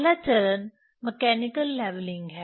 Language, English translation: Hindi, First step is the mechanical leveling